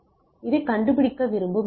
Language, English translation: Tamil, Correct so, this is the thing we want to find out